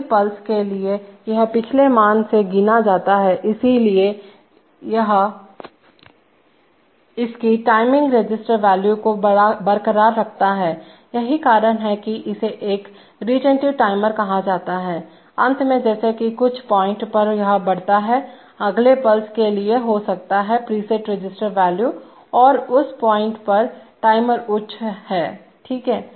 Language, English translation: Hindi, For the next pulse it counts from the previous value so that is why it retains its timing register value, that is why it is called a retentive timer, finally as this increases at some point for the, may be for the next pulse it reaches the preset register value and at that point the timer goes high, okay